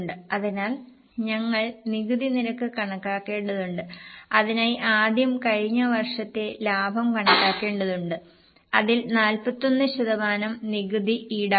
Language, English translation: Malayalam, For that, first of all, we will have to calculate the profit of the last year and on that 41% tax is charged